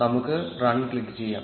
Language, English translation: Malayalam, Let us click on run